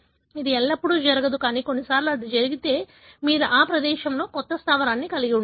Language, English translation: Telugu, It does not happen always, but at times if it happens, then you could end up having a new base in that place